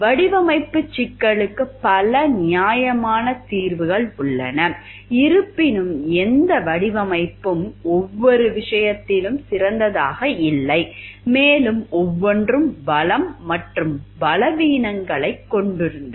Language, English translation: Tamil, Several reasonable solutions to the design problem yet no design was ideal in every regard and each had strengths and weaknesses